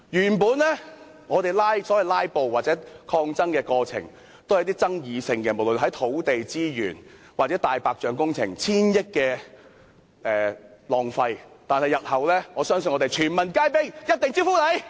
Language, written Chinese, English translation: Cantonese, 原本我們的所謂"拉布"或抗爭過程，也只是環繞一些具爭議的議題，如土地資源、浪費千億元的"大白象"工程，我相信日後我們會全民皆兵，一定招呼你們。, In the past when we did the so - called filibusters or protests it would be on certain controversial issues such as land resources and white elephant projects wasting hundreds of millions of dollars . Yet I trust that in the coming days we will definitely go all - out to serve all of you